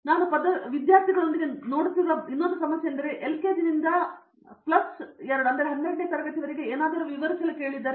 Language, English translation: Kannada, Suppose the problem that I see even with students who are about to graduate is that if I ask them to describe something from LKG to plus two